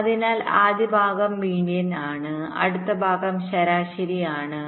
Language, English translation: Malayalam, so the first part is median